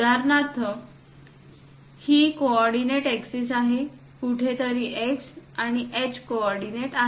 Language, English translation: Marathi, For example, this is the coordinate axis, somewhere x and h coordinates